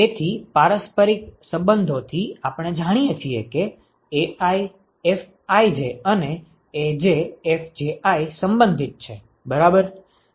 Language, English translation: Gujarati, So, from reciprocity relationship we know that AiFij and AjFji are related right